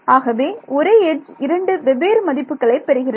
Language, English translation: Tamil, So, now, the same edge, has 2 different values